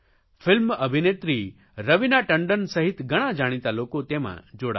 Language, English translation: Gujarati, Many famous personalities including actress Raveena Tandon became a part of it